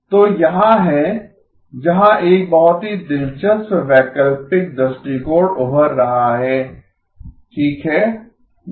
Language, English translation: Hindi, So here is where a very interesting alternate approach is emerging okay